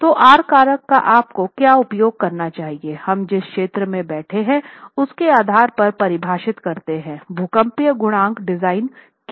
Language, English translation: Hindi, So, with an appreciation of what R factor should you use, we then go and define depending on the zone we are sitting in what the design seismic coefficient is